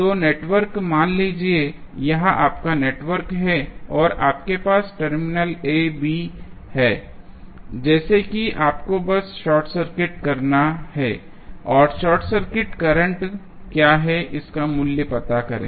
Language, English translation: Hindi, So, in the network suppose, this is your network and you have terminal AB like this you have to simply short circuit and find out the value of what is the short circuit current